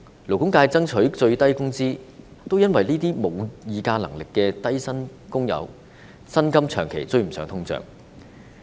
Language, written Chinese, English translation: Cantonese, 勞工界爭取訂立最低工資，正是因為這些沒有議價能力的低薪工友的薪金，長期無法追上通脹。, The labour sector has fought for the prescription of a minimum wage precisely because the wages of these low - paid workers who have no bargaining power are always unable to catch up with inflation